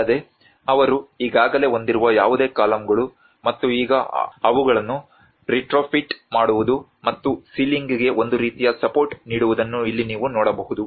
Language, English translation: Kannada, \ \ \ Also, what you can see here is whatever the columns they already have and now retrofitting them and giving a kind of support to the ceiling as well